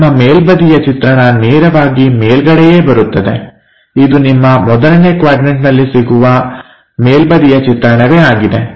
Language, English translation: Kannada, So, your top view straight away comes at top side which is same as your top view in the 1st 1st quadrant projection